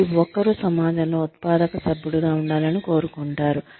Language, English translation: Telugu, Everybody wants to be a productive member of society